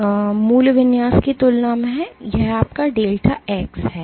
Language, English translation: Hindi, So, compared to the original configuration this is your delta x